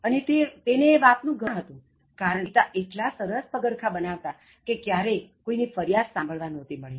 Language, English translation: Gujarati, And he was proud because his father did the job so well that not even a single complaint had ever been heard